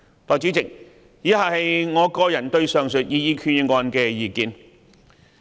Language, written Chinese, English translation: Cantonese, 代理主席，以下是我個人對上述擬議決議案的意見。, Deputy President my personal views on the aforesaid proposed Resolution are as follows